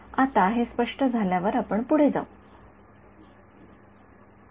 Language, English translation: Marathi, So, while that now that is clear let us go further